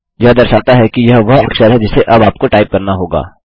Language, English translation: Hindi, It indicates that it is the character that you have to type now